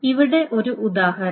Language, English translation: Malayalam, And here is an example to see